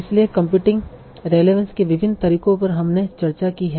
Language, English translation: Hindi, So what are the different methods for computing relevance that we have discussed